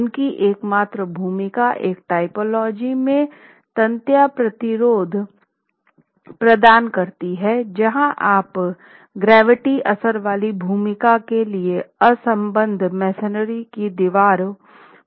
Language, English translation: Hindi, Their only role is provide tensile resistance in a typology where you are depending on unreinforced masonry walls for the gravity bearing role